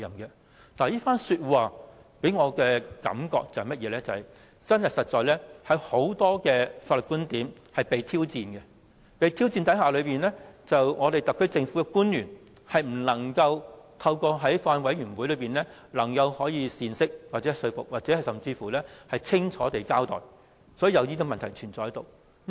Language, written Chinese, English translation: Cantonese, 這番說話給我的感覺是，真的有很多法律觀點備受挑戰，面對這些挑戰，特區政府的官員卻未能透過法案委員會作出解釋、說服公眾，清楚交代，才會出現這些問題。, His remarks made me realize that many issues involving the Bill were being challenged but the HKSAR government officials failed to provide a good explanation and a clear account at the Bills Committee . Consequently members of the public are not convinced and a host of problems have arisen